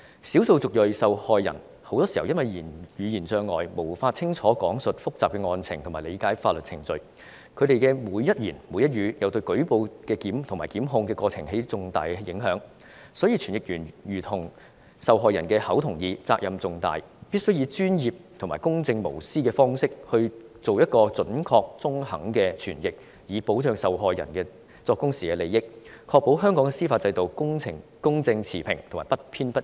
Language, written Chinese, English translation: Cantonese, 少數族裔受害人很多時因為語言障礙，無法清楚講述複雜的案情和理解法律程序，而他們的每一言、每一語都對舉報及檢控過程有重大影響，所以傳譯員有如受害人的口和耳，責任重大，他們必須專業和公正無私地作出準確和中肯的傳譯，以保障受害人作供時的利益，確保香港司法制度公正持平和不偏不倚。, Very often the language barrier will prevent ethnic minority victims from recounting the details of their cases as well as understanding the legal procedure while each word they speak has significant impact on the case reporting and prosecution process . For this reason people who provide the interpretation and translation services are just like the mouths and ears of the victims